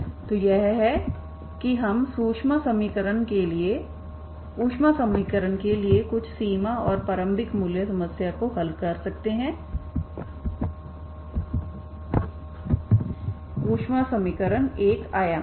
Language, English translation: Hindi, So this is we can solve some of the boundary value boundary and initial value problem for the heat equation heat equation is 1 dimensional, okay